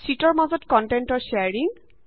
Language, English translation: Assamese, Sharing content between sheets